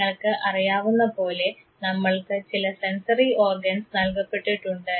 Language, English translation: Malayalam, And as you know that we are endowed with certain sensory organs